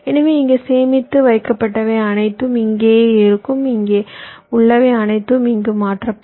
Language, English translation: Tamil, so whatever is stored here, that will remain here, and whatever is here will get transferred here